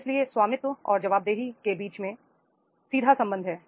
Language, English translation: Hindi, So there is a direct relationship between the ownership and accountabilities